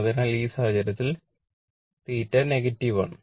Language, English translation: Malayalam, So, in that case theta is negative right